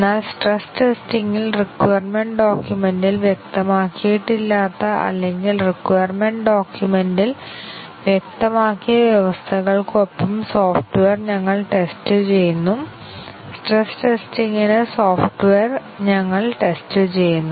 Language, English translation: Malayalam, But in stress testing, we test the software with conditions that are not specified in the requirements document or those which beyond those which have been specified in the requirement document, we test the software that is the stress testing